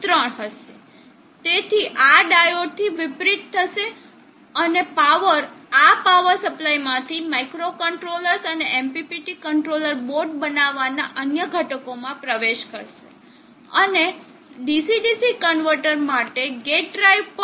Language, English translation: Gujarati, 3 it will reverse by this diode and power will flow from this power supply into the microcontrollers and the other components at make up the MPPT controller board, and also the gate drive for the DC DC converter